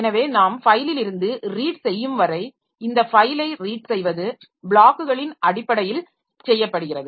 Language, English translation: Tamil, So, as long as we are reading from the file so maybe we are reading this file read is done in terms of blocks